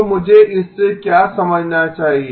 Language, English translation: Hindi, So what do I mean by that